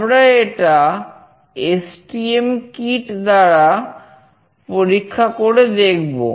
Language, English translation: Bengali, We will try this out with the STM kit